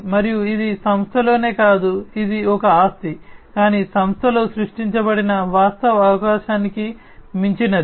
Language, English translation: Telugu, And this is not only within the company that it is an asset, but also beyond the actual opportunity that is created within the company